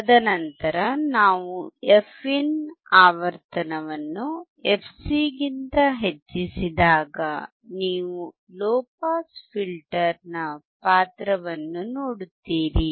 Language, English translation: Kannada, And then when we increase the frequency, let us say fin is greater than fc then you will see the role of the low pass filter